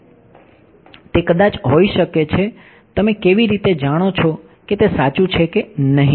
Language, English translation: Gujarati, It might be how do you know it is correct or not